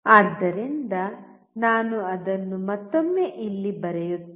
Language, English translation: Kannada, So, I will write it down here once again